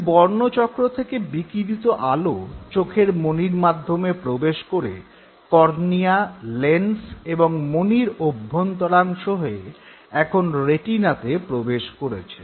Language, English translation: Bengali, The light from the color disc entered the eyes through pupil, cornea, lens, and interiors of eyeball, it has now reached the retina